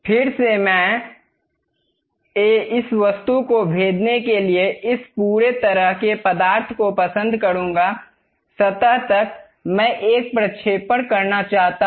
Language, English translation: Hindi, Again I would like to have this entire arch kind of substance to go penetrate into this object; up to the surface I would like to have a projection